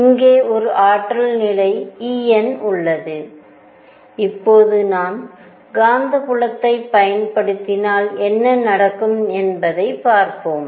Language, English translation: Tamil, Here is an energy level E n and in this now what is going to happen if I apply the magnetic field right